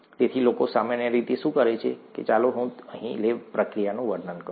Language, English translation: Gujarati, So what people normally do, let me describe the lab procedure here